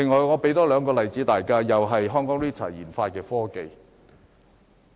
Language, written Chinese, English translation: Cantonese, 我再舉兩個例子，也是研發中心研發的科技。, Let me cite two more examples which are also the technology developed by HKRITA